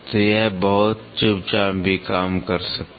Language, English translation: Hindi, So, it can work also very quietly